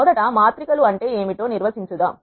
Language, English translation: Telugu, Let us first define what matrices are